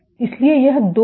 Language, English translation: Hindi, So, that is 2